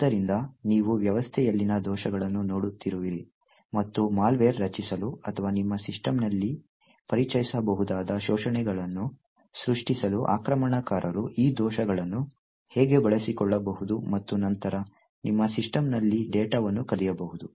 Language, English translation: Kannada, So, you will be looking at bugs in the system, and how an attacker could utilise these bugs to create malware or create exploits that could be introduced into your system and then could run and steal data in your system